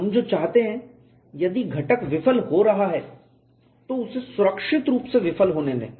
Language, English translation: Hindi, What we want is if the component is going in to fail, let it fail safely